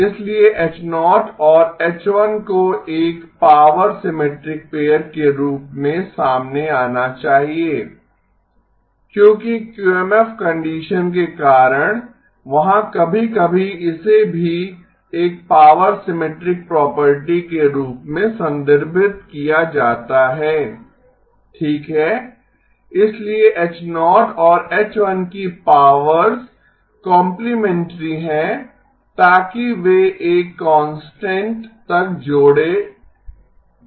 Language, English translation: Hindi, So H0 and H1 must come out to be a power symmetric pair because of the QMF condition there is also sometimes this is also referred to as a power complementary property okay, so the powers of H0 and H1 are complementary so they can add up to a constant